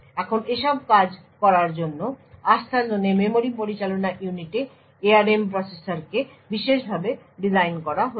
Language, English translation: Bengali, Now in order to make these things to work the memory management unit in Trustzone enabled ARM processors is designed in a special way